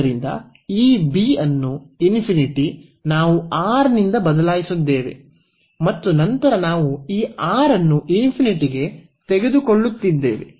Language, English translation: Kannada, So, this b which is infinity we have replaced by this R and then we are taking this R to infinity